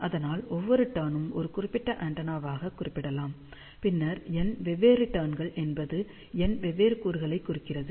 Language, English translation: Tamil, So, each turn can be represented as one particular antenna, then n different turns will mean that there are n different elements are there